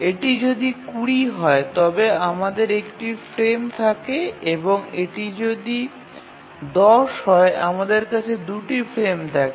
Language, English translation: Bengali, So if it is 20 we have just one frame and if it is 10 we have just 2 frames